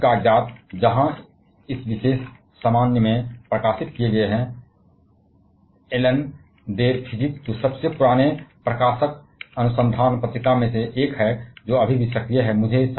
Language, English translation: Hindi, All of his papers where published in this particular general, Annalen Der Physic which is one of the oldest publishing research journal which is still active now